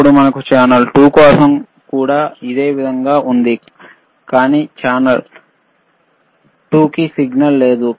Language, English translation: Telugu, tThen we have similarly for channel 2, but right now channel 2 has no signal